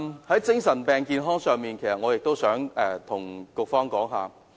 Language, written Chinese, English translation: Cantonese, 在精神病健康上，我想向局方反映一點。, On mental health I wish to reflect one point to the Bureau